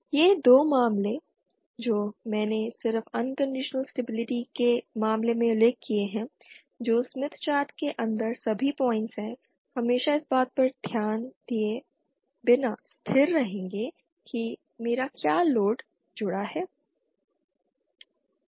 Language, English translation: Hindi, These two cases that I just mentioned at the case for unconditional stability that is all points inside the smith chart will always be stable irrespective of what my what load I connect